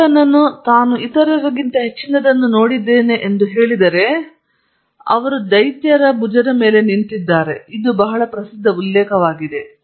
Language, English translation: Kannada, And Newton said if I have seen further than others it is by standing on the shoulders of giants, it is a very famous quote